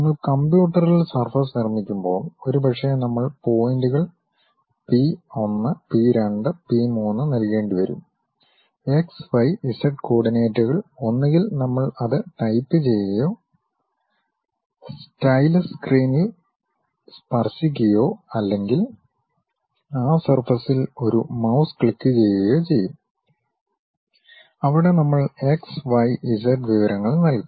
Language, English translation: Malayalam, When you are constructing surface on computer, perhaps we may have to give points P 1, P 2, P 3; x, y, z coordinates either we type it using stylus touch the screen or perhaps with mouse click on that surface, where we will give x, y, z information